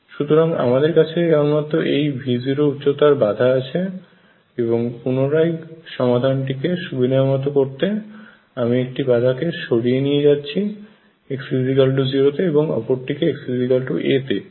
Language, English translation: Bengali, So, what we have is this barrier of height V 0 and again to facilitate solutions I will shift back to one end of the barrier being at x equals 0, and the other hand being at x equals a